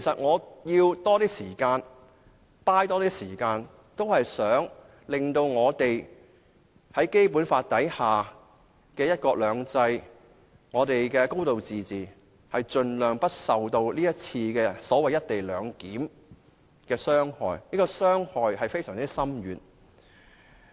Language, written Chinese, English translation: Cantonese, 我想爭取多些時間，令《基本法》下的"一國兩制"、"高度自治"，盡量不受這次"一地兩檢"的安排傷害，這種傷害非常深遠。, I hope to strive for more time to prevent as far as possible any harm caused by the co - location arrangement to one country two systems and a high degree of autonomy under the Basic Law . The harm inflicted will be profound and far - reaching